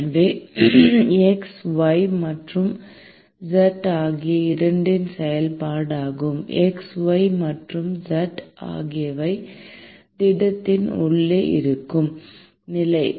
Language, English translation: Tamil, So, it is a function of both x, y and z; with x, y and z being the position inside the solid